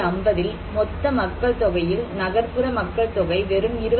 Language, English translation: Tamil, 7% of total population was urban population, only 29